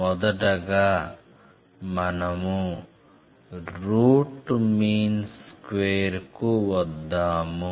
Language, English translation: Telugu, There is one thing which we call as Root mean square